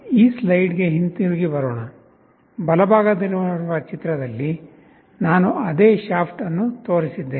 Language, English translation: Kannada, Coming back to this slide, in the picture on the right, I have showed the same shaft